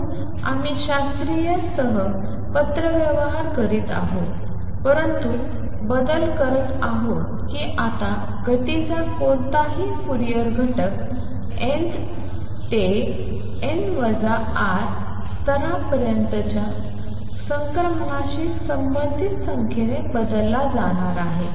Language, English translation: Marathi, So, we are making a correspondence with classical, but making changes that now any Fourier component of the motion is going to be replaced by a number corresponding to the transition from n th to n minus tau level